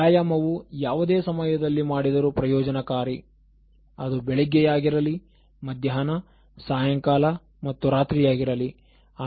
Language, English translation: Kannada, Now exercise, as such doing it any time is beneficial, whether it is morning, afternoon, evening, night